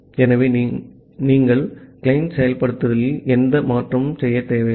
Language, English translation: Tamil, So, here we do not make any change in the client implementation